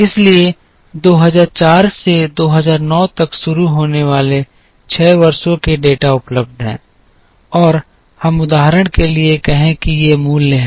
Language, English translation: Hindi, So, the data for 6 years starting from 2004 to 2009 are available, and let us say for the sake of illustration that these are the values